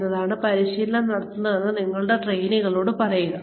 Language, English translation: Malayalam, Tell your trainees, why the training is being conducted